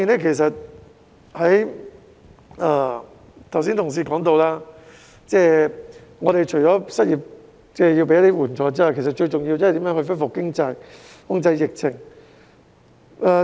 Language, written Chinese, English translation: Cantonese, 另一方面，正如同事剛才提到，除要提供失業援助外，其實最重要是如何恢復經濟、控制疫情。, Furthermore as mentioned by my colleagues just now the most important thing is apart from providing unemployment assistance to facilitate economic recovery by putting the pandemic under control